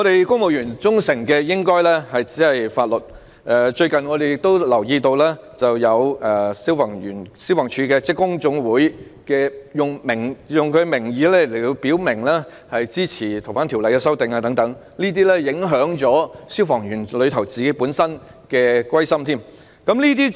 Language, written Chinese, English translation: Cantonese, 公務員只應該對法律表示忠誠，但我們最近留意到，香港消防處職工總會以自己的名義表明支持對《逃犯條例》的修訂，這會影響消防員的歸心。, Civil servants should pledge their allegiance only to the law . But recently we noticed that the Hong Kong Fire Services Department Staffs General Association indicated express support for the amendment of the Fugitive Offenders Ordinance in its own name . This will affect firemens sense of belonging